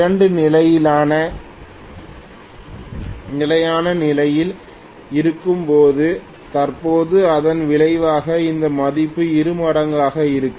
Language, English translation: Tamil, When both are at stationary position, currently the resultant of this will be double this value something like this